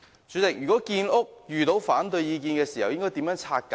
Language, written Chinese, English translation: Cantonese, 主席，如果建屋遇到反對意見，應如何拆解？, President what can be done if housing construction is met with opposition?